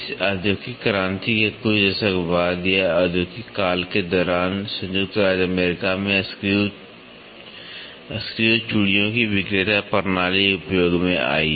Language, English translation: Hindi, A couple of decades later after this industrial revolution or during the time of industrial, the sellers system of screw threads came into use in United States